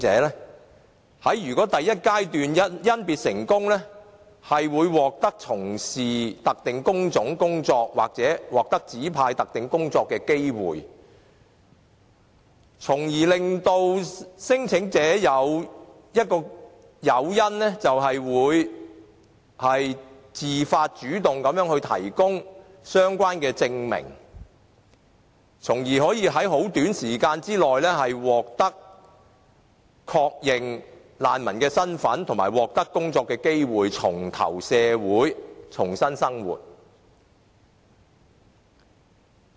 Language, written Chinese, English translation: Cantonese, 如果他們在第一階段甄別成功，將會獲得從事特定工種的工作或獲指派特定工作的機會，為聲請者提供誘因，讓他們自發、主動的提供相關證明，從而可以在很短時間內獲得確認難民的身份及工作機會，重投社會，重新生活。, If they are successfully screened during the initial stage then they will be awarded the opportunities to engage in specific types of jobs or to be assigned to do some specific jobs . In so doing we can provide this as an incentive to applicants . In return they will take the initiative to provide the relevant identifications with self - motivation for the purpose of being granted the refugee status and the job opportunity within a short period and rejoining society and leading a new life